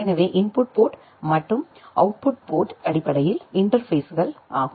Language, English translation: Tamil, So, the input ports and output ports are basically the interfaces